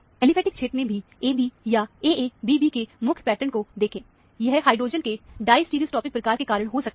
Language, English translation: Hindi, Look for AB, or AA prime BB prime pattern in the aliphatic region also; this might be because of a diastereotopic type of hydrogen